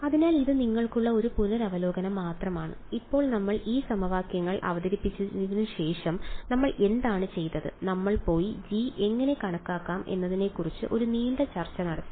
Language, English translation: Malayalam, So, this is just a revision for you and now the after we introduced these equations what did we do we went and had a long discussion how do we calculate g’s ok